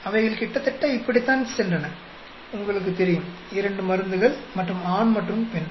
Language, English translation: Tamil, They were going almost like this, you know, two drugs, and male and female